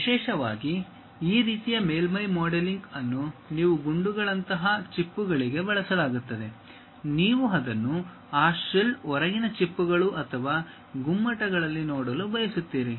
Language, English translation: Kannada, Especially, this kind of surface modelling is used for shells like bullets you would like to really see it on that shell, outer shells or domes that kind of objects